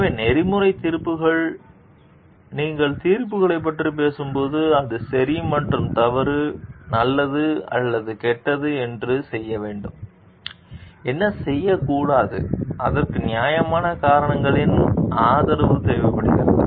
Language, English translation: Tamil, So, ethical judgments, when you are talking of judgments, it is about right and wrong good or bad what ought to be done and not to be done and it requires support of reasons justified reasons